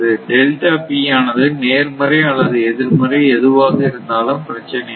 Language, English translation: Tamil, So, it the delta P may be positive may be negative, does not matter right it may be can negative also